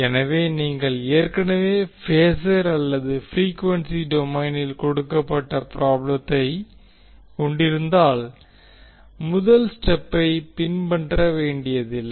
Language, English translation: Tamil, So that means if you already have the problem given in phasor or frequency domain, we need not to follow the first step